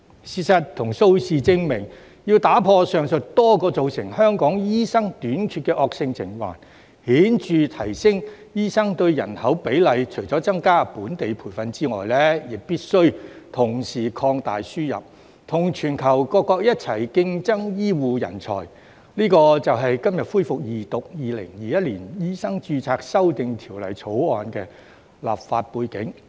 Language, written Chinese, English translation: Cantonese, 事實與數字證明，要打破上述多個造成香港醫生短缺的惡性循環，顯著提升醫生對人口比例，除了增加本地培訓之外，必須同時擴大輸入，與全球各國一起競爭醫護人才，這就是今日恢復二讀《2021年醫生註冊條例草案》的立法背景。, Facts and figures have proven that in order to break the aforesaid vicious cycles causing the manpower shortage of doctors in Hong Kong and to significantly increase the doctor - to - population ratio apart from increasing local training we must expand the admission of NLTDs and compete with countries around the world for healthcare talents . This is the legislative background for the resumption of Second Reading of the Medical Registration Amendment Bill 2021 the Bill today